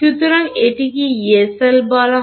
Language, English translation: Bengali, So, it is also called a Yee cell